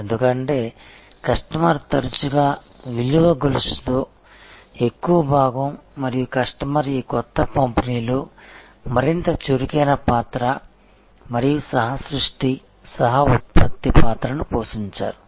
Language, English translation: Telugu, Because, customer was very much part of the value chain often and the customer played a much more proactive role and co creation, coproduction role in this new dispensation